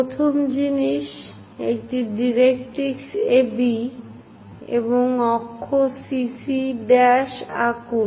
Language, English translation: Bengali, The first thing, draw a directrix AB and axis CC prime